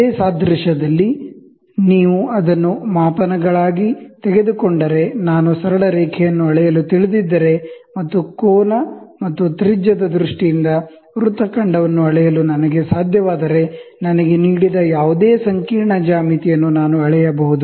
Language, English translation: Kannada, In the same analogy, if you take it for measurements, if I know to measure a straight line, and if I am able to measure an arc in terms of angle and radius, then I can measure any complicated geometries given to me